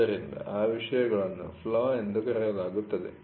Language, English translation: Kannada, So, those things are called as flaw